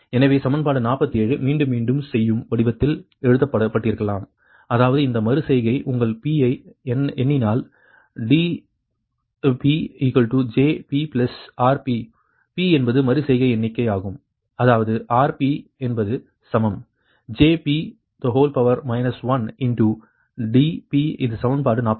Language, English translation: Tamil, so equation forty seven, maybe written in iterative ah form, that is suppose any iteration count, your p, then dp is equal to jp into rp, p is the iteration count, right